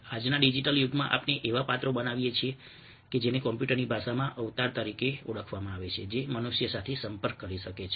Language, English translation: Gujarati, in todays digital age, we can make characters, ok, known as avatars in computer language, which can interact with human beings